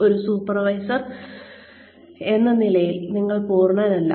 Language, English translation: Malayalam, As a supervisor, you are not perfect